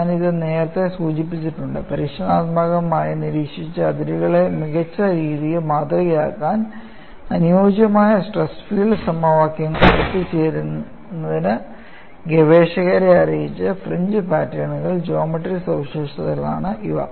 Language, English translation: Malayalam, I have mentioned this earlier, it is a geometric feature of the fringe patterns that have alerted the researchers in arriving at a suitable stress filed equations to Model experimentally observed fringes better